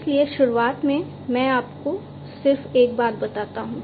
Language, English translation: Hindi, So, at the outset let me just tell you one more thing that